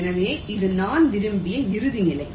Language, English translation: Tamil, so this is my desired final state